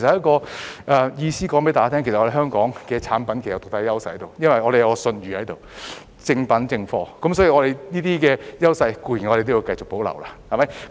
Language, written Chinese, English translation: Cantonese, 我是想告訴大家，香港產品有獨特的優勢，因為我們有信譽，是正版正貨，所以這些優勢要繼續保留。, I would like to tell everybody that Hong Kong products have unique advantages because of their reputation and their being genuine products . Hence we should continue to maintain these advantages